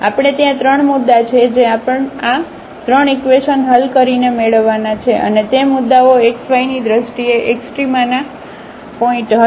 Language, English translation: Gujarati, There are 3 points we have to we have to get by solving these 3 equations and that those points will be the points of extrema in terms of the x y